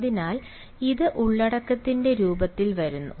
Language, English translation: Malayalam, so this comes in the form of content